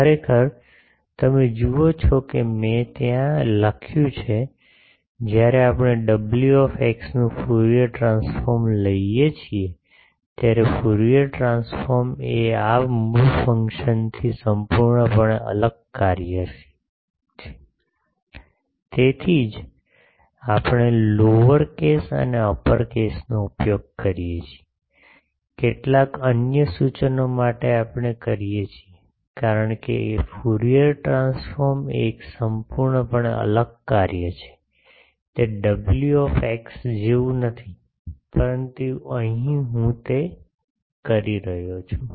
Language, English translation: Gujarati, Actually, you see that I have written there, when we take Fourier transform of w x, the Fourier transform is an entirely different function from this original function; that is why we use lower case and upper case, for some other notation we do, because Fourier transform is a completely different function, it is not same as w x, but here I am doing that